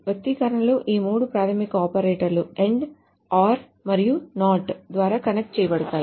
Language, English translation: Telugu, The expressions are connected by these three basic operators and or and not